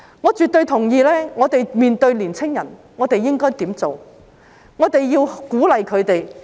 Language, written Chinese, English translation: Cantonese, 我絕對同意，面對年青人，我們應該鼓勵他們望國際、望神州、望世代。, I absolutely agree that in front of the young people we should encourage them to look at the world look at our country and look at the generation . It is easy to look at the world